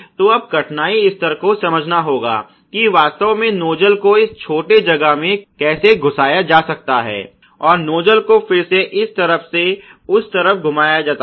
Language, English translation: Hindi, So, you have to consider the difficulty level, which is there that this nuzzle actually nets to get inserted into this small space here and the nuzzle has to again be turned from this side to this side